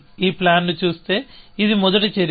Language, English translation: Telugu, So, if you look at this plan, this is a first action